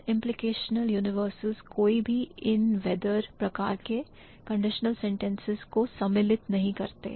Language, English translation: Hindi, Non implicational universals do not, um, include any if, whether kind of a conditional sentence